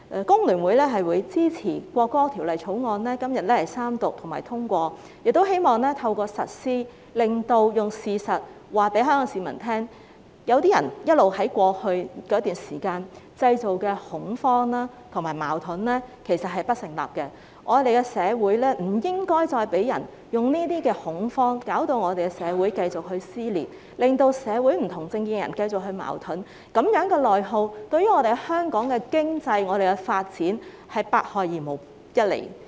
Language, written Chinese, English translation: Cantonese, 工聯會也會支持《條例草案》三讀通過，並且希望透過實施這項法例，用事實告訴香港市民，有些人過去一直製造的恐慌和矛盾其實並不成立，我們不應再因為恐慌而令社會繼續撕裂，令社會上不同政見的人繼續出現矛盾，這種內耗對香港的經濟和發展是百害而無一利。, FTU will also support the passage of the Third Reading of the Bill and we also hope that by implementing this law we can use the facts to tell Hong Kong people that the panic and conflicts being continuously created by some people in the past are actually unsubstantiated . We should no longer allow social dissension to persist due to panic such that people with divergent political views in society will continue to have conflicts . Such internal attrition would bring nothing but harm to the economy and development of Hong Kong